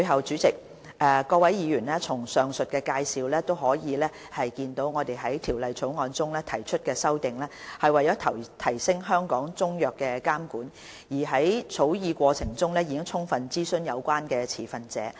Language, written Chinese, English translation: Cantonese, 主席、各位議員，從上述的介紹可見到我們就《條例草案》提出的修正案，旨在提升香港中藥的監管水平，而在草擬過程中，有關持份者已獲得充分諮詢。, President Honourable Members it can be seen from the foregoing introduction that the amendments proposed by us to the Bill seek to enhance the regulatory standard of Chinese medicines in Hong Kong . During the drafting process the relevant stakeholders were already fully consulted